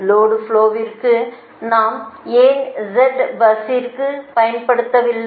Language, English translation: Tamil, do we make admittance for the why we don't use z bus for load flows